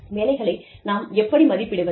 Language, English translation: Tamil, How do we evaluate our jobs